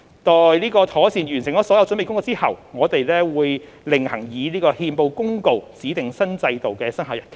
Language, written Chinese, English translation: Cantonese, 待妥善完成所有準備工作後，我們會另行以憲報公告指定新制度的生效日期。, Upon satisfactory completion of all the preparatory work we will separately appoint a commencement date for the new regime by notice in the Gazette